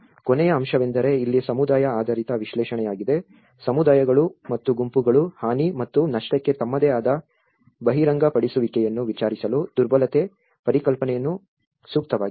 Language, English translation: Kannada, The last aspect is a community based analysis here, the communities and the groups appropriate the concept of vulnerability to inquire their own expose to damage and loss